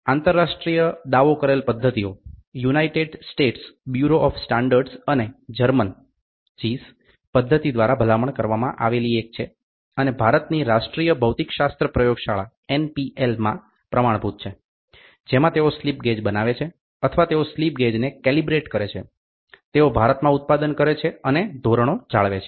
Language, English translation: Gujarati, International claimed methods are the one recommended by United States Bureau of Standards and the German method in India NPL has the standard wherein which they make the slip gauges or they calibrate the slip gauges, what is manufactured and they maintained the standards in India